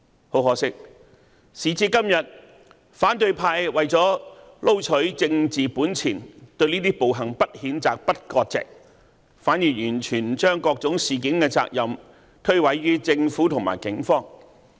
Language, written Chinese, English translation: Cantonese, 很可惜，時至今日，反對派為了撈取政治本錢，對這些暴行不譴責、不割席，反而完全將各種事件的責任推諉於政府和警方。, Unfortunately up till today the opposition camp has not condemned the violence and has not severed ties with the rioters for the sake of political gains . Quite the contrary it has put all the blame on the Government and the Police Force . The opposition camp has virtually assumed the role of inciting violence